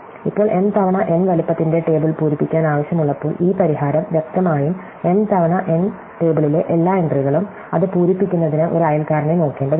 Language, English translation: Malayalam, now, this solution when require as to fill in the table of size m time n, so obviously, every entries in the m times n table, we just have to look at a neighbors to fill it up